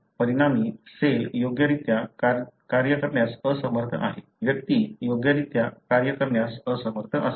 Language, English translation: Marathi, As a result, the cell is unable to function properly; the individual is unable to function properly